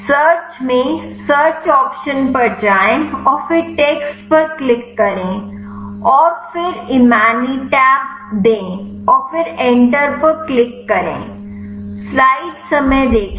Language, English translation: Hindi, In search go to search option and then click on text and then give the imatinib and then click enter